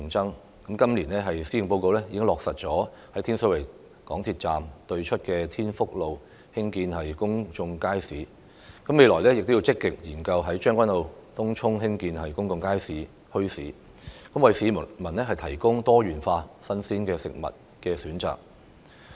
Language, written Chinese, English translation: Cantonese, 政府在去年的施政報告落實在天水圍港鐵站對出的天福路興建公眾街市，未來亦要積極研究在將軍澳及東涌興建公眾街市和墟市等，務求為市民提供多元化的新鮮食物選擇。, In last years Policy Address the Government said that a public market would be built at Tin Fuk Road off Tin Shui Wai MTR Station and that studies would be conducted actively on building public markets and bazaars in Tseung Kwan O and Tung Chung in an effort to offer wider choices of fresh provisions to the public